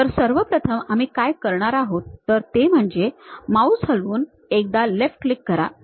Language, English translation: Marathi, So, the first one what we are going to do is move your mouse give a left click